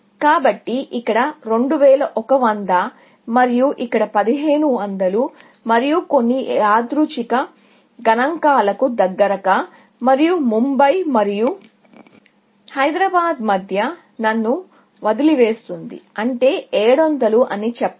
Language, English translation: Telugu, So, let us say, 2100 here, and 1500 here, and just some random, a close to random figures, and that leaves me with, between Mumbai and Hyderabad, let us say, that is 700